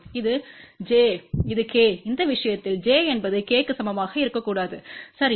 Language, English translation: Tamil, And this is j, this is k, and in this case condition is j should not be equal to k, ok